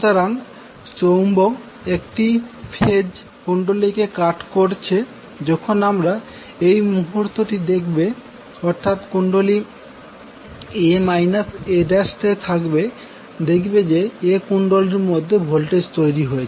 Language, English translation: Bengali, So, when the moment you see the, the magnet is cutting phase a coil, so, that is a a dash coil we will see that the voltage is being building up in the coil A